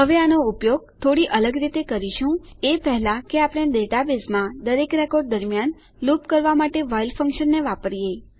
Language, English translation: Gujarati, Now, we will use this slightly differently, before we use the while function to loop through every record in the data base